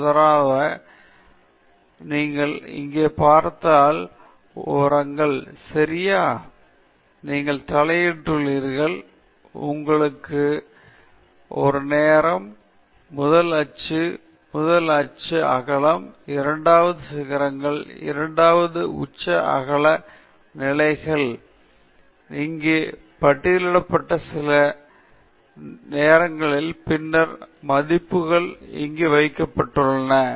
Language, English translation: Tamil, So, for example, if you see here, somethings are ok; you do have heading, you have a time, first peak, first peak width, second peak, second peak width positions here, and some timing listed here, and then some values put down here